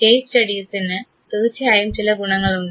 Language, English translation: Malayalam, Case studies of course they have advantage